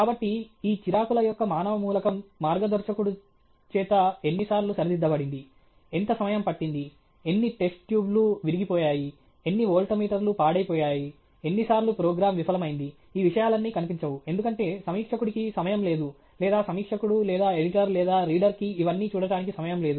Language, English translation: Telugu, So, the human element of these frustrations, how many times the guide corrected, how long it has taken, how many test tubes are broken, how many this thing volt meters went off okay, how many times program cupped all these things are not seen, because there is no time for the reviewer or there is no time for reviewer or the editor or the reader to look at all this